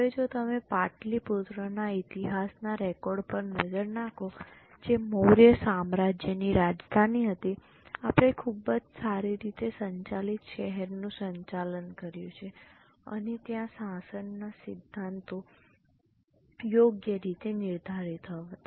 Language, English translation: Gujarati, Now, if you look at the history records of Patli Putra, which was the capital of Mauryan Empire, we have a very well administered city and there were properly laid down principles of governance